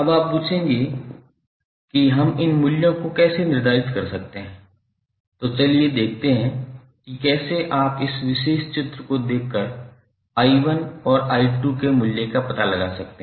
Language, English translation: Hindi, Now you will ask how i will determine these values, so let us see how you can find out the value of i1 and i2 by seeing this particular figure